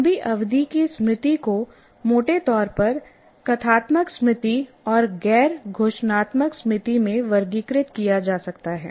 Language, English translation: Hindi, Now here, the long term memory can be broadly classified into declarative memory and non declarative memory